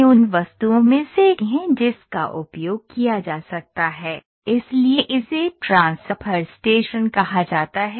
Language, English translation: Hindi, So, this is one of the objects that can be used ok, so this is the say transfer station ok